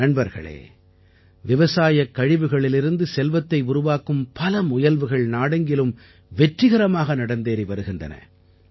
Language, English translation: Tamil, many experiments of creating wealth from agricultural waste too are being run successfully in the entire country